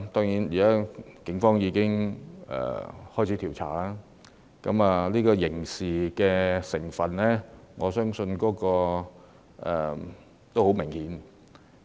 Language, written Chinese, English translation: Cantonese, 現時警方已展開調查，我相信刑事成分已相當明顯。, Given that the Police have now initiated an investigation I believe the criminal liability therein is rather obvious